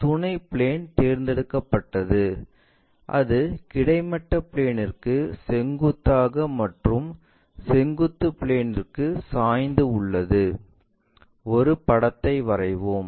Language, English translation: Tamil, If the auxiliary plane is selected perpendicular to horizontal plane and inclined to vertical plane that means, let us draw a picture